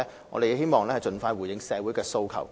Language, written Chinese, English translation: Cantonese, 我們希望盡快回應社會的訴求。, We hope to respond to social demands as soon as possible